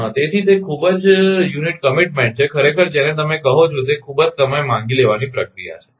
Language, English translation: Gujarati, So, it is a very unit commitment actually the very very very your w hat you call very time consuming process